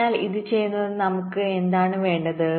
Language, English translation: Malayalam, so what do we need to do this